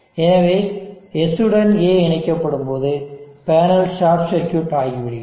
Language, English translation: Tamil, So when S is connected to A, the panel is short circuited